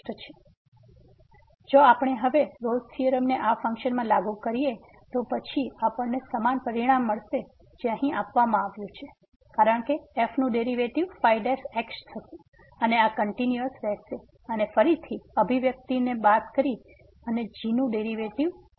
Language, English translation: Gujarati, So, if we apply the Rolle’s theorem now, to the function then we will get exactly the result which is given here because the will be the derivative of and then this is a constant here minus again this expression and the derivative of